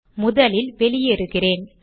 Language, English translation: Tamil, Let me first exit